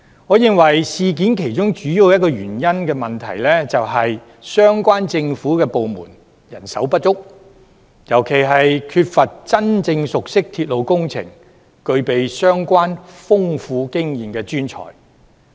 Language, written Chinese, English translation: Cantonese, 我認為事件其中一個主要問題，是相關政府部門人手不足，尤其缺乏真正熟悉鐵路工程、具備相關豐富經驗的專才。, In my view one of the major problems is that the government departments concerned are short of manpower particularly professionals who are genuinely familiar with railway works and possess rich experience